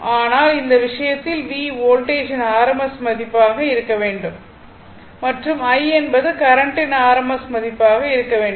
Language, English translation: Tamil, But, in this case, V should be rms value of the voltage and I should be rms value of the current right